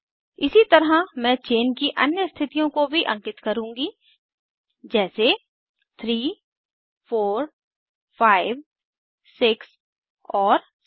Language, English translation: Hindi, Likewise I will number the other chain positions as 3, 4, 5, 6 and 7